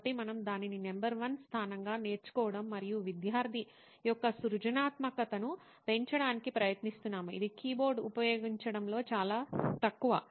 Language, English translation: Telugu, So we are thinking it in terms of learning as the number 1 tool and trying to enhance the creativity of the student which is very meagre in terms of using a keyboard